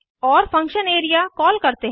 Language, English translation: Hindi, Then we call function area